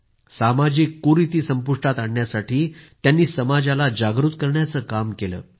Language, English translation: Marathi, He also made the society aware towards eliminating social evils